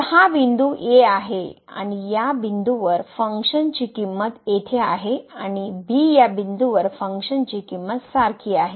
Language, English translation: Marathi, So, this is the point at so, the function value at this point is here and the same value the function is taking at b